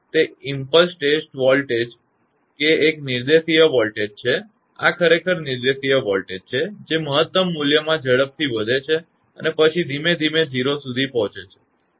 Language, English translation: Gujarati, So, an impulse voltage is a unidirectional voltage; this is actually unidirectional voltage that rises quickly to maximum value and then decays slowly to 0